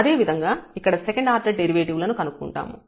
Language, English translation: Telugu, Similarly, we can compute the second order derivative